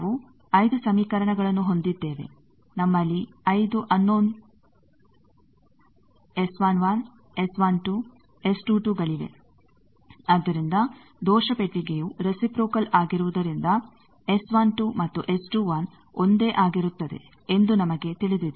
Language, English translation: Kannada, We have 5 equations, we have 5 unknowns S 11, S 12, S 22, so due to the error box reciprocity we know S 12 and S 21 will be same